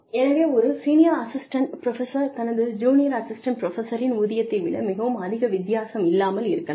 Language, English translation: Tamil, The salary of the senior most assistant professor, could be significantly different from, the salary of the junior most assistant professor